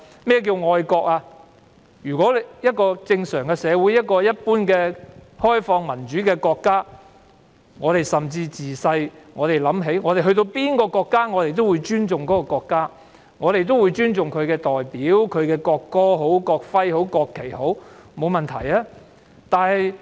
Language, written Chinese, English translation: Cantonese, 在一個正常社會，一個開放民主的國家，人們從小已懂得尊重，到訪任何國家都會尊重其國家及代表國家的國歌、國徽及國旗。, In a normal open and democratic country people will know since childhood how to show respect . When they visit other countries they will respect the country as well as its national anthem national emblem and national flag which are symbols of the country